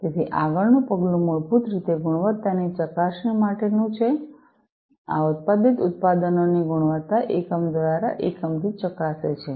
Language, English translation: Gujarati, So, the next step on is basically to quality test; test the quality of these manufactured products, unit by unit